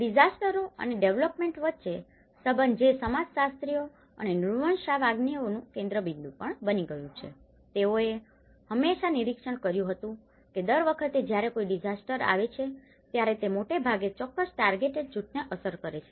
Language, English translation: Gujarati, Between the disasters and the development where this it has also become a focus of the sociologists and anthropologists, they often observed that every time a disaster happens, it is affecting mostly a particular target group